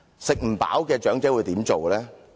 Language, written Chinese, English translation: Cantonese, 吃不飽的長者會怎樣做呢？, What will the elderly having not enough food do?